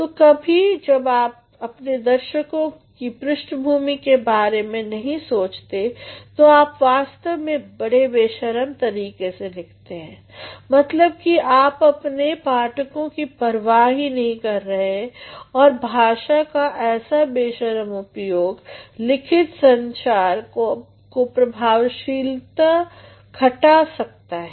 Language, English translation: Hindi, So, sometimes when you do not think about your audience's background what do you do, you actually write very unscrupulously, meaning thereby you have less consideration for your readers and unscrupulous use of language can mar the effectiveness in a written form of communication